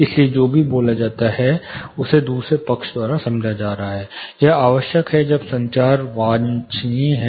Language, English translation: Hindi, So, whatever is spoken you know is being understood by the other side, it is necessary when communication is desirable